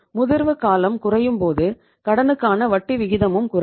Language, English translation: Tamil, Shorter the maturity you have to pay the lesser rate of interest